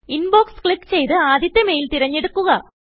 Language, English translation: Malayalam, Click on Inbox, select the first mail